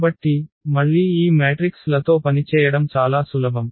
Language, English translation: Telugu, So, again this working with the matrices are much easier